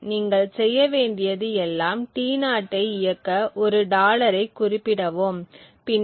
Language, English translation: Tamil, All that you need to do is run T0 specify a dollar and then